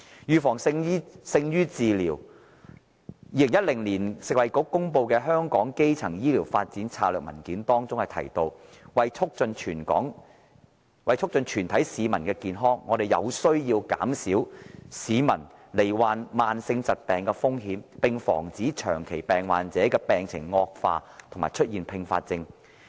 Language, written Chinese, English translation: Cantonese, 預防勝於治療 ，2012 年食物及衞生局公布的香港的基層醫療發展策略文件中提到，為促進全體市民的健康，我們有需要減少市民罹患慢性疾病的風險，並防止長期病患者病情惡化和出現併發症。, Prevention is better than cure . It is mentioned in the Primary Care Development in Hong Kong Strategy Document published in 2012 by the Food and Health Bureau that in order to promote the health of the whole population we need to reduce peoples risk of contracting chronic diseases and to prevent disease deterioration and complications for people who already have chronic diseases